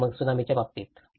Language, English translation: Marathi, And then, in the tsunami case